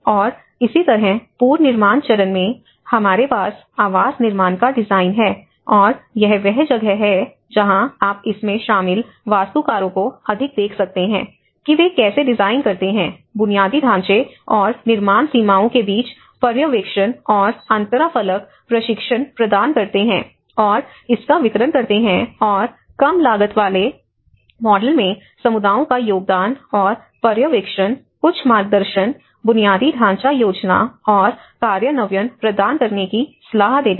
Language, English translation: Hindi, And similarly in the reconstruction stage, we have the housing building design and this is where you can see the more of architects involved in it, how they design, the supervise and interface between infrastructure and building boundaries provide training and the delivery of it and the contribution of the communities in the low cost models and advise on supervision, some guidance, providing some guidance, infrastructure planning and implementation